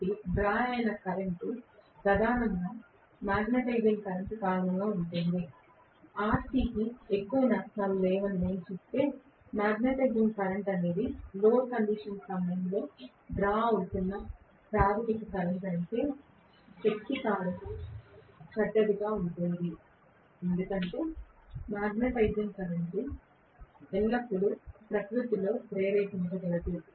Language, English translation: Telugu, So, the current drawn is primarily due to the magnetizing current, if I say RC is not having much of losses, if magnetizing current is the primary current that is being drawn during no load condition, the power factor is going to be bad, really bad, because magnetizing current is always inductive in nature